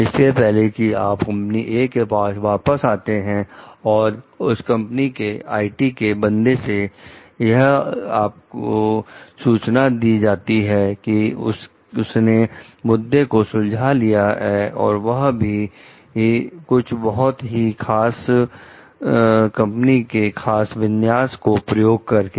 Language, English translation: Hindi, Before you got back to company A, its IT person called to inform you that, he solved the issue by using a very specific configuration of company A network